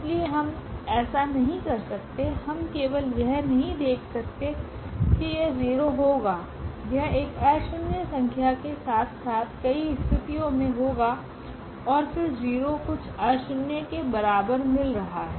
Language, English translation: Hindi, So, having so, we cannot; we cannot just observe that this will be 0 this will be a non zero number as well in many situation and then 0 is equal to something nonzero we are getting